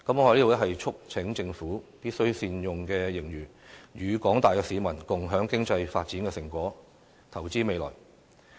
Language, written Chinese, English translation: Cantonese, 我在此促請政府，必須善用盈餘，與廣大市民共享經濟發展的成果，投資未來。, I call on the Government to make best use of the fiscal surplus to allow the general public to share the fruits of economic development and to invest in the future